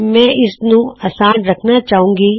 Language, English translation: Punjabi, I want to keep it simple